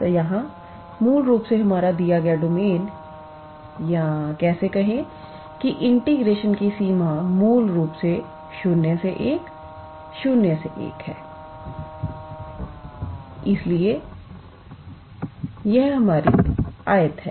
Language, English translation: Hindi, So, here basically our given domain or how to say sorry range of integration is basically 0 to 1, 0 to 1